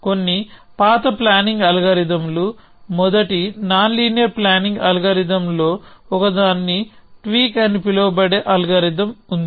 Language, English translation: Telugu, So, some of the older planning algorithms, there was an algorithm called tweak one of the first nonlinear planning algorithms